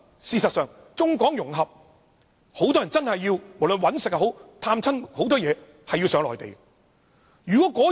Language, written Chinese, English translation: Cantonese, 事實上，在中港融合的情況下，很多人都有需要到內地工作或探親。, If democratic Members really do harm to them Actually with China - Hong Kong integration many Hong Kong people must go to the Mainland for work or visiting relatives